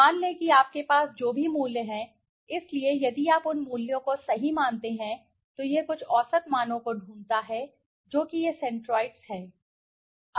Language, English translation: Hindi, Let say whatever values you have, so if you plot those values right, it finds some mean values, which is this is the centroids, for example